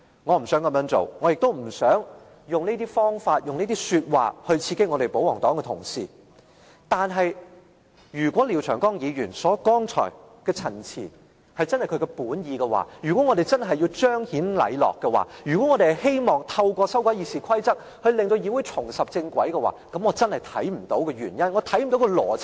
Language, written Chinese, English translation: Cantonese, 我不想這樣做，我也不想以這些方法和說話刺激保皇黨同事，但如果廖長江議員剛才的陳辭真的是他的本意，如果我們真的要彰顯禮樂，如果我們希望透過修改《議事規則》令議會重拾正軌，我真的看不到原因，看不到邏輯。, I do not want to say so and I do not want to mount an offensive on the pro - Government colleagues . If what come out of Mr Martin LIAOs mouth come from his heart and he really wishes to exemplify proprieties and music and to put the Council back on the right track by means of the RoP amendments I am confused by the justifications and logic